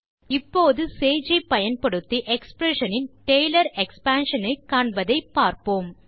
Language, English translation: Tamil, Now, let us see how to obtain the Taylor expansion of an expression using sage